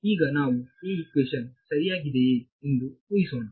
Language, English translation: Kannada, So, for now let us just assume that this equation is correct